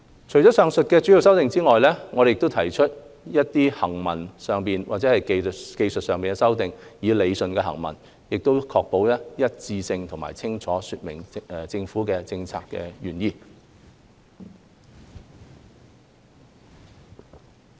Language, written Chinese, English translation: Cantonese, 除了以上的主要修正案外，我們亦提出了一些行文上或技術上的修正案，以理順行文，確保一致性及清楚說明政府的政策原意。, Apart from the major amendments mentioned above we have also proposed some textual or technical amendments to improve the drafting ensure consistency and clarify the Governments policy intent